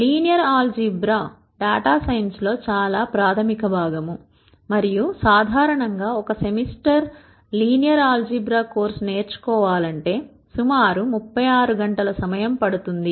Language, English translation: Telugu, Linear algebra is a very fundamental part of data science and usually a typical one semester linear algebra course will run for about 36 hours